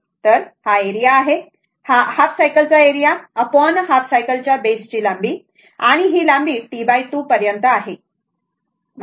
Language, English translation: Marathi, So, this is the area this is the area over the half cycle divided by the length of the base of half cycle and this length of the base of half is T by 2, up to this right